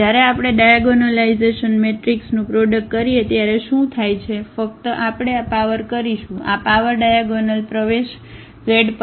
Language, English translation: Gujarati, So, what happens when we do the product of the diagonal matrix just simply we will this power; this power will go to the diagonal entries